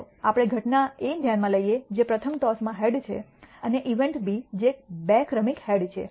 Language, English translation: Gujarati, Let us consider the event A which is a head in the first toss and event B which is two successive heads